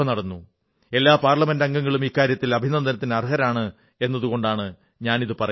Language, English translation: Malayalam, I am mentioning this because all Parliamentarians deserve to be congratulated and complimented for this